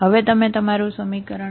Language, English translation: Gujarati, Now you take your equation